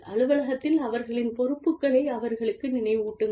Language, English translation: Tamil, And, remind them, of their responsibilities, to the office